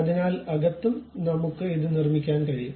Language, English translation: Malayalam, So, inside also we can construct it